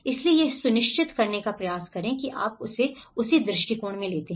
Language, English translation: Hindi, So, try to make sure you take it in that approach